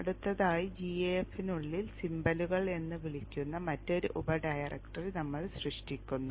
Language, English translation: Malayalam, Next we create within GAF another subdirectory called symbols